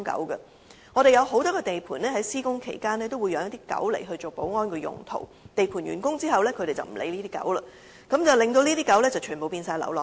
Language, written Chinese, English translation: Cantonese, 香港有很多地盤在施工期間都會飼養一些狗隻作保安用途，但在地盤完工後，便不會再理會這些狗隻，令牠們全部變成流浪狗。, It is a common phenomenon that dogs are kept in construction sites for security reasons in Hong Kong but upon completion of the construction projects the dogs will be left unattended and thus become stray dogs